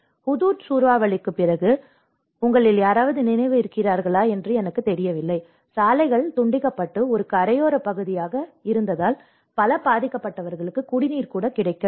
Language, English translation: Tamil, I do not know if any of you remember after the Hudhud cyclone, the roads have been cut off and being a coastal area, many victims have not even got drinking water